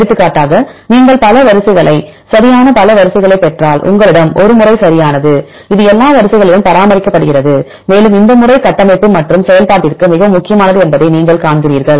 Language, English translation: Tamil, For example, if you get several sequences right several sequences and you have a pattern right and this is maintained in all the sequences and you see that this pattern is very important for the structure and function